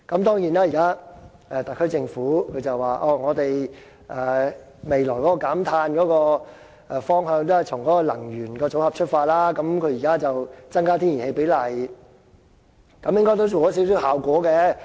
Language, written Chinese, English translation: Cantonese, 當然，現時特區政府說未來的減碳方向，都是從能源組合出發，它現在增加天然氣比例，應該也做到少許效果。, Regarding the policy direction of carbon reduction the SAR Government now says it will start with the energy mix and will increase the share of natural gas in the fuel mix . It seems that the Government has made some progress in this respect